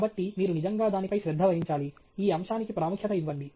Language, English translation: Telugu, So, you have to really pay attention to it, give importance to this aspect